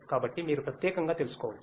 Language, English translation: Telugu, So, that you can know specifically